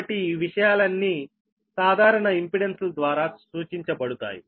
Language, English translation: Telugu, all these things can be represented by simple impedances, right